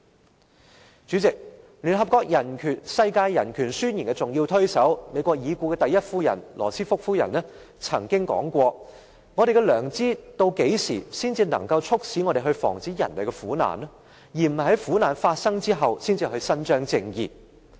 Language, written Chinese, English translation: Cantonese, 代理主席，聯合國《世界人權宣言》的重要推手，美國已故第一夫人羅斯福夫人曾經說過："我們的良知何時才能促使我們防止人類的苦難，而不是在苦難發生後才去伸張正義？, Deputy Chairman Mrs Eleanor ROOSEVELT the late First Lady of the United States who was a crucial promoter of the Universal Declaration of Human Rights of the United Nations once said When will our conscience grow so tender that we will act to prevent human misery rather than to avenge it?